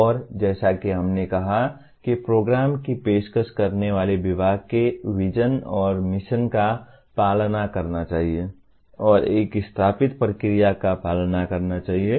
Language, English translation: Hindi, And as we said must follow from the vision and mission of the department offering the program and follow an established process